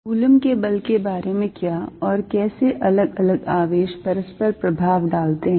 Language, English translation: Hindi, How about Coulomb's force and how different charge is interact with each other